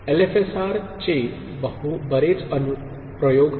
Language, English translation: Marathi, There are many applications of LFSR